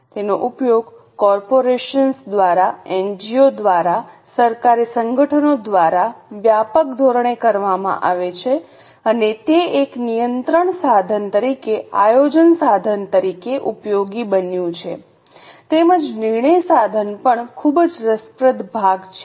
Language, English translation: Gujarati, It is used by corporations, by NGOs, by government organizations on an extensive scale and it has become useful as a planning tool, as a control tool and as also the decision making tool